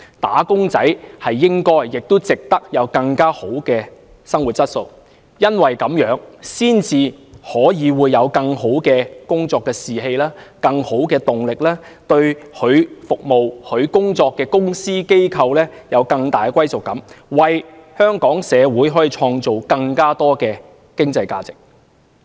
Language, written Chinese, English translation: Cantonese, "打工仔"理應享有更好的生活質素，才可以有更佳工作士氣和動力，對其服務的公司、機構有更大歸屬感，為香港社會創造更多經濟價值。, Improving wage earners quality of life can boost their job morale and motivation enhance their sense of belonging to the companies and organizations in which they serve and create extra economic value for the Hong Kong community